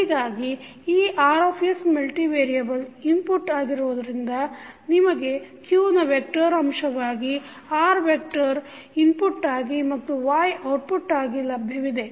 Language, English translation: Kannada, So, this Rs is multivariable input so you will have R as a vector as an input and Y as an output containing the vector of q terms